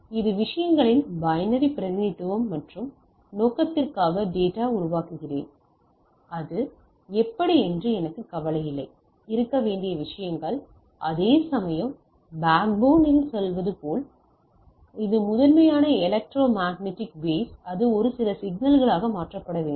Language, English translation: Tamil, So, that is a binary representation of the things and I generate the data for my purpose and I do not care that how it things to be there; whereas, at the backbone as you are telling at the backbone it is primarily electromagnetic wave need to be converted to some signal